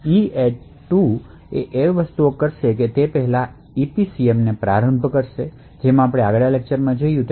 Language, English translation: Gujarati, So EADD will do 2 things first it will initialize the EPCM as we have seen in the previous lecture